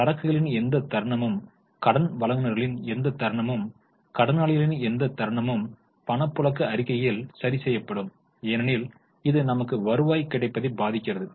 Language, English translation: Tamil, So, any moment in inventory, any moment in debtors, any moment in creditors will be adjusted in cash flow statement because it affects the availability of cash to me